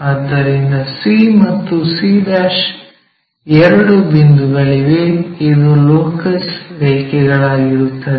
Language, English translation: Kannada, So, we have two points c and c'; this is the locus line